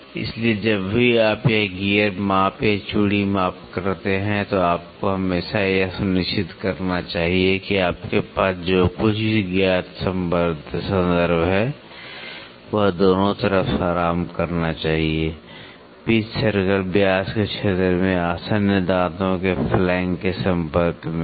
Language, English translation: Hindi, So, whenever you do this gear measurement or thread measurement, you always should make sure that the known reference whatever you have must rest on both sides, makes in contact with the flank of the adjacent teeth in the area of the pitch circle diameter